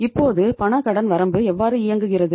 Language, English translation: Tamil, Now how the cash credit limit works